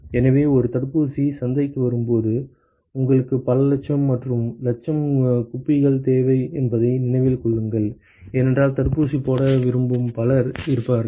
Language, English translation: Tamil, So, remember that when you when an a vaccine comes into market you really need like several lakhs and lakhs of vials, because there will be so many people who would want to get vaccinated